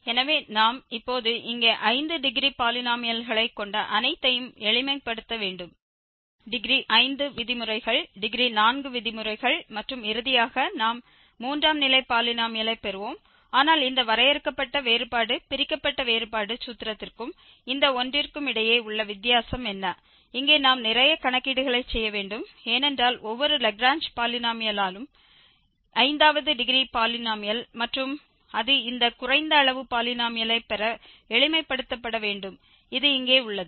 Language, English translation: Tamil, So, we have to now simplify all these here each having five degree polynomial and there will be cancellation of degree 5 terms degree 4 terms and finally, we will get the polynomial which is just third degree polynomial, but what is the difference between this finite difference divided difference formula and this one, that here we have to do a lot of calculations because each Lagrange polynomial is a fifth degree polynomial and that has to be simplified to have this lower degree polynomial which is the case here